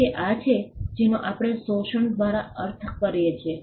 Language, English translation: Gujarati, So, this is what we mean by exploitation